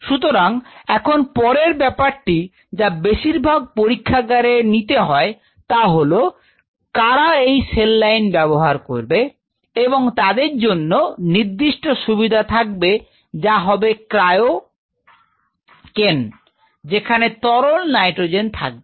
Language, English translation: Bengali, So, now, next thing comes most of the labs who use a cell lines they needed a facility to store cells in cryocans where you have to have liquid nitrogen ports